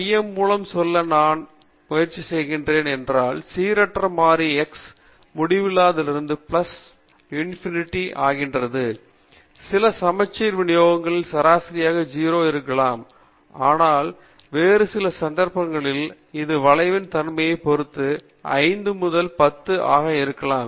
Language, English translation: Tamil, What I am trying to say by center is suppose the random variable x is going from minus infinity to plus infinity, in some symmetric distributions the mean may be at 0, but in some other cases it may be at minus 5 or plus 10 and so on depending upon the nature of the curve